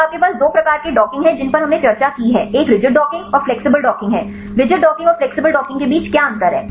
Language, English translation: Hindi, So, you have two types of docking we discussed one is the rigid docking and the flexible docking, what difference between rigid docking and flexible docking